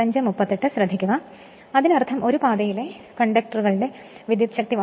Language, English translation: Malayalam, Then that mean number of conductors in one path Z by 2 is equal to Z by A right